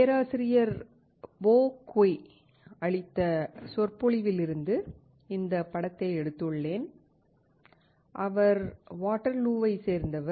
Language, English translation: Tamil, We have taken this image from the lecture given by Professor Bo Cui and he is from Waterloo